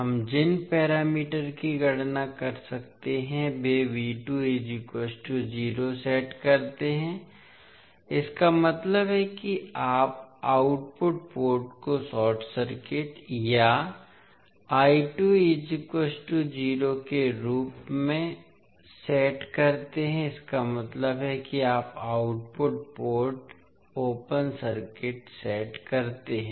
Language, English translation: Hindi, The parameters we can calculate by setting V 2 is equal to 0 that means you set the output port as short circuited or I 2 is equal to 0 that means you set output port open circuit